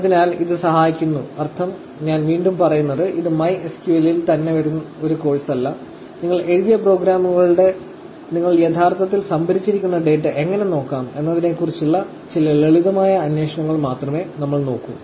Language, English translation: Malayalam, So, that helps meaning, again I am emphasizing that, this is not a course on MySQL itself; we will only look at some simple queries on how to look at the data that you have actually stored through the programs that you have written